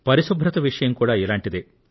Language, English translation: Telugu, Cleanliness is also similar to this